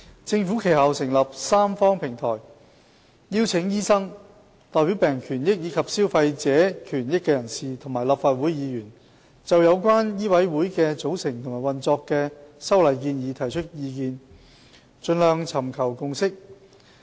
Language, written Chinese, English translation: Cantonese, 政府其後成立三方平台，邀請醫生、代表病人權益和消費者權益人士，以及立法會議員，就有關醫委會的組成和運作的修例建議提出意見，盡量尋求共識。, Subsequently the Government set up a tripartite platform and invited doctors representatives of patients interests and consumers interests and Members of the Legislative Council to provide views on the composition and operation of MCHK and forge consensus on the proposed legislative amendments as far as practicable